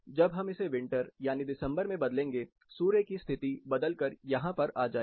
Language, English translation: Hindi, When you will change it to winter that is December, sun position changes here